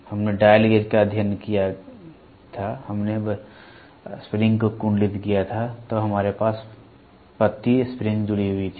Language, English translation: Hindi, We studied dial gauge, we had coiled spring then we had a leaf spring attached